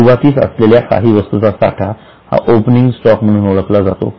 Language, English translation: Marathi, There might be some amount of stock in the beginning which is known as opening stock